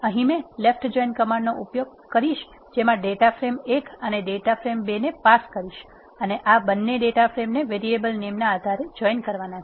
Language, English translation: Gujarati, I have to use this command left join, this is the data frame 1 I am passing in and this is the data from 2 I am passing in and then I want to join this 2 data frames by the variable name